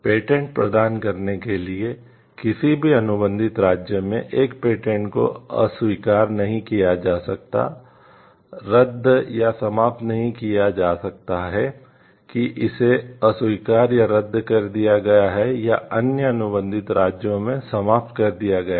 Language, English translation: Hindi, To grant a patent, a patent cannot be refused annulled or terminated in any contracting state on the ground that it has been refused or annulled or has been terminated in other contracting state